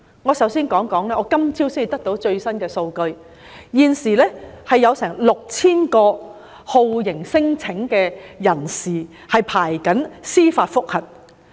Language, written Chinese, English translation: Cantonese, 我首先想指出，今早得到的最新數據顯示，現時全港有大約 6,000 名酷刑聲請人正在等候司法覆核。, First according to the latest statistics available this morning there are about 6 000 cases of judicial review instituted by torture claimants pending to be heard